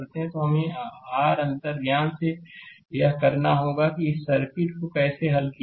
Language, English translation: Hindi, So, we have to from your intuition you have to make it that how to solve this circuit